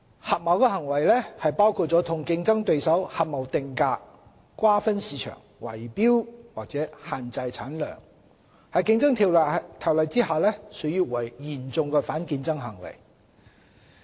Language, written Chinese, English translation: Cantonese, 合謀行為，包括與競爭對手合謀定價、瓜分市場，圍標或限制產量，在《競爭條例》下屬於嚴重反競爭行為。, Cartel conduct which includes agreement between competitors to fix prices share markets rig bids or restrict output constitutes serious anti - competitive conduct under the Competition Ordinance